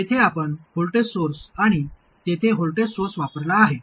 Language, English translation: Marathi, Here we have used a voltage source here and a voltage source there